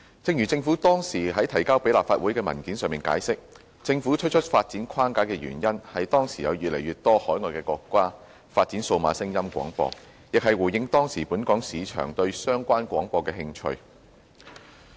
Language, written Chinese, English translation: Cantonese, 正如政府當時提交立法會的文件上解釋，政府推出發展框架的原因，是當時有越來越多海外國家發展數碼廣播，亦是回應當時本港市場對相關廣播的興趣。, As explained in the Legislative Council Brief tabled by the Government at that time the Government introduced the DAB Framework in response to a growing trend of development of DAB services overseas and the interest of the local market in such services